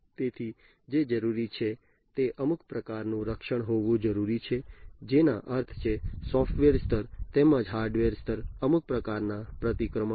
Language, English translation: Gujarati, So, what is required is to have some kind of protection that means some kind of countermeasures at the software level, as well as at the hardware level